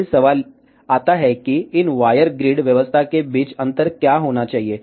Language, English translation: Hindi, Then the question comes what should be the spacing between these wire grid arrangement